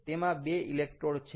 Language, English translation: Gujarati, it has two electrodes